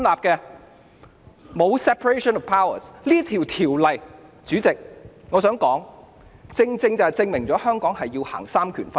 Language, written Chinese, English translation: Cantonese, 代理主席，我想說《條例草案》正正證明了香港實行的是三權分立。, Deputy President I mean the Bill is the exact proof that the separation of powers is practised in Hong Kong